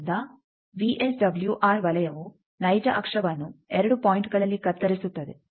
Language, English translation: Kannada, So, the VSWR circle will cut the real axis at 2 points